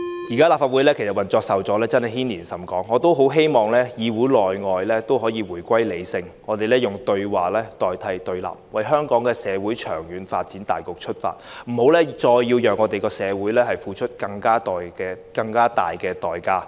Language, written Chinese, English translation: Cantonese, 現時立法會的運作受阻，真的牽連甚廣，我希望議會內外均能夠回歸理性，以對話代替對立，從香港社會的長遠發展大局出發，不要再讓社會付出更大的代價。, Now that the operation of the Legislative Council has been hampered the impact of which would be most extensive . I really hope that people in and out of the legislature can return to rationality and replace confrontation with dialogue . We should act for the overall development of Hong Kong society in the long term to spare society of paying an even higher price